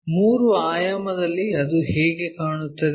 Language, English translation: Kannada, How it looks like in three dimensional